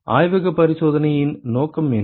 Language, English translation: Tamil, What is the purpose of the lab experiment